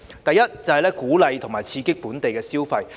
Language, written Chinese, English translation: Cantonese, 第一，是鼓勵和刺激本地消費。, Firstly we should encourage and stimulate domestic consumption